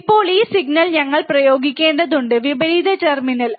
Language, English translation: Malayalam, Now this signal we have to apply to the inverting terminal